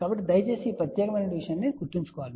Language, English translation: Telugu, So, please remember this particular thing